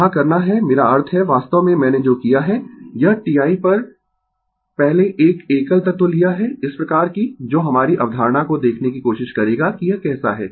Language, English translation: Hindi, Here, we have to I mean, what I have done actually, this first taken one single element at a time such that, we will try to see our concept how is it right